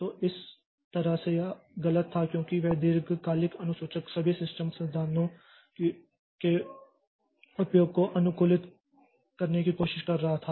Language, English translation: Hindi, So, so that way we it was, it was choosy because that long term scheduler was trying to optimize utilization of all the system resources